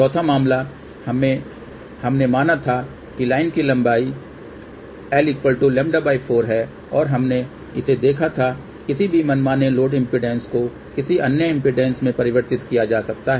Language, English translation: Hindi, The fourth case we had considered where the length of the line was lambda by 4 and we had seen that any arbitrary load impedance can be transformed to any other impedance